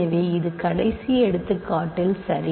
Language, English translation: Tamil, So, this is as in the last example ok